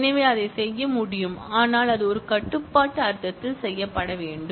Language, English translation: Tamil, So, it can be done, but it has to be done in a restrictive sense